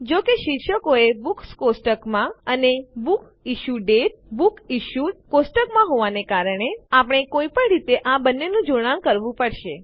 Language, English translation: Gujarati, Since titles are in the Books table and the Book Issue date is in the BooksIssued table, we will need to combine these two somehow